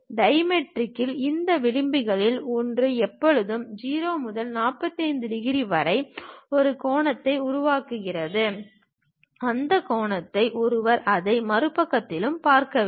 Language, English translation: Tamil, In dimetric, one of these edges always makes an angle in between 0 to 45 degrees; on the same angle, one has to see it on the other side also